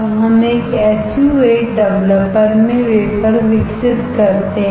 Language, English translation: Hindi, We develop the wafer in a SU 8 developer